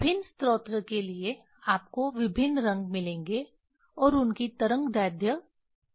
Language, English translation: Hindi, For different source you will get different color and their wavelength are fixed